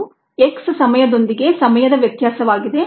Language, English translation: Kannada, this is the variation of time with time of x